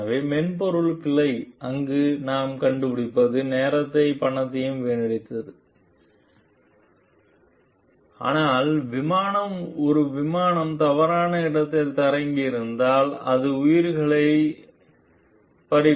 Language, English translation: Tamil, So, what we find over there the software bug wasted time and money, but it could have cost lives also if the plan a plane would have landed in a wrong place